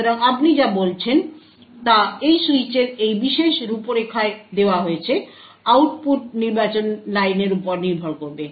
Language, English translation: Bengali, So what you say is given this particular configuration of the switch, the output would be dependent on select line